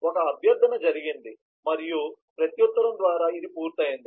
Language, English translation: Telugu, a request has been made and by reply this has been completed in terms of that